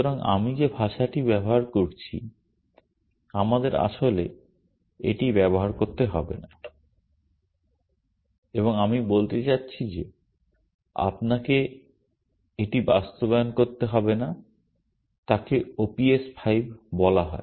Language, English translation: Bengali, So, the language that I am using, we do not really have to use it and in, I mean you may not have to implement it is called O P S 5